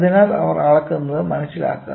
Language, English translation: Malayalam, So, please understand what they measure